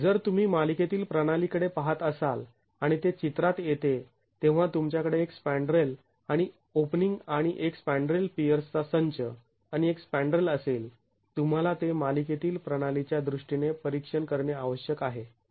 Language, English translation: Marathi, If you were to look at a system in series and that comes into the picture when you have a spandrel, an opening and a spandrel, a set of peers and a spanrel, you need to examine it in terms of system in series